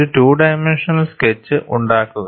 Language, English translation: Malayalam, Make a two dimensional sketch